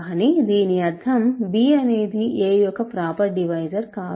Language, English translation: Telugu, But this means b is not a proper divisor of a, b and c are not proper divisors